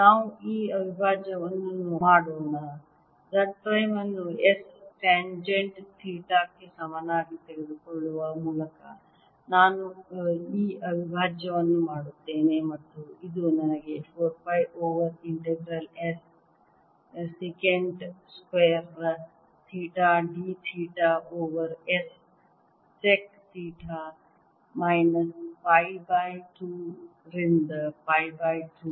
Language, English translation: Kannada, i do this integral by taking z prime equals s tangent theta and this gives me mu naught i over four pi z integral s secant square theta d theta over s sec theta minus pi by two to pi by two